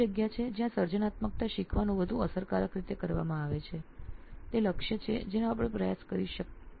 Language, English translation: Gujarati, So that is the space where creativity learning is more effectively done is the target we are trying to